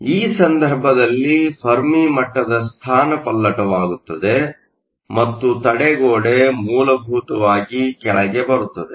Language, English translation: Kannada, So, In this case, the Fermi level shift and the barrier essentially is lowered